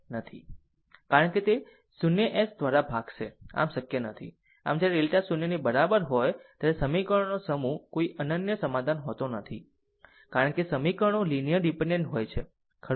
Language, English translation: Gujarati, So, when delta is equal to 0, the set of equations has no unique solution, because the equations are linearly dependent, right